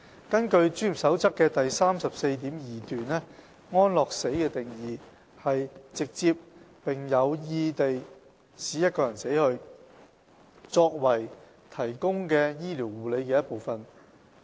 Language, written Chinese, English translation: Cantonese, 根據《專業守則》的第 34.2 段，安樂死的定義是"直接並有意地使一個人死去，作為提供的醫療護理的一部分"。, According to paragraph 34.2 of the Code euthanasia is defined as direct intentional killing of a person as part of the medical care being offered